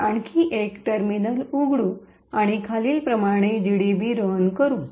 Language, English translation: Marathi, So, will open another terminal and run GDB as follows